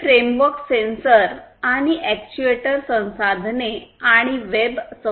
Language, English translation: Marathi, So, this framework views sensors and actuator resources and web resources